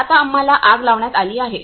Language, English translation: Marathi, So now we are put off fire